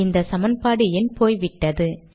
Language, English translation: Tamil, These equations dont have numbers